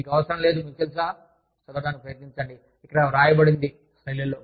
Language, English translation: Telugu, You do not need to, you know, try to read, whatever is written here, on the slides